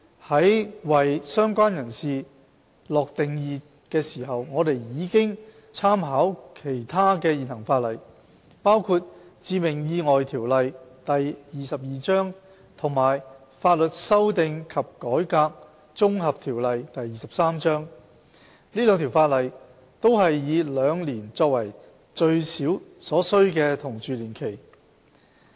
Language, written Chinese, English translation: Cantonese, 在為"相關人士"下定義時，我們已參考其他現行法例，包括《致命意外條例》和《法律修訂及改革條例》，這兩項法例均是以兩年作為最少所需同住年期。, When defining related person we have drawn reference from other existing legislation including the Fatal Accidents Ordinance Cap . 22 and the Law Amendment and Reform Ordinance Cap . 23 which both prescribe two years as the minimum duration of cohabitation required